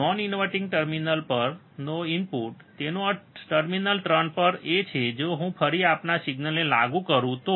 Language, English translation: Gujarati, The input at non inverting terminal; that means, at terminal 3 if I again apply our signal, right